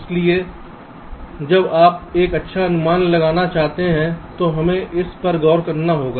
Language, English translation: Hindi, so when you want to make a good estimate, we will have to look into this